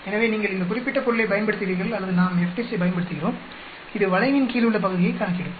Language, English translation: Tamil, So, you use this particular thing or we use the FDIST it will calculate the area under the curve